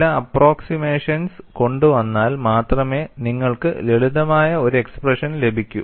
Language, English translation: Malayalam, Only by bringing certain approximations you would be able to get a simplified expression and what is approximation we will do